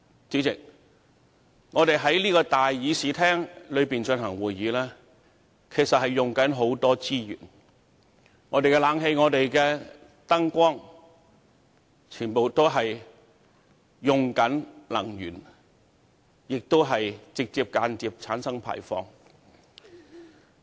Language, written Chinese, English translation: Cantonese, 主席，我們在這個議事廳進行會議，其實消耗很多資源，包括冷氣、燈光等，這些全部耗費能源，且直接及間接地產生碳排放。, President as we conduct meetings here in this Chamber a great many resources have to be consumed including air conditioning lighting and so on . All these require the consumption of energy and will directly or indirectly lead to carbon emission